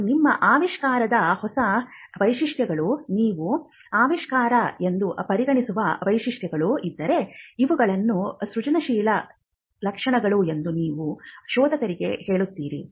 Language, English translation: Kannada, And if there are novel features of your invention, the features which you consider to be inventive, you would also tell the searcher that these are the inventive features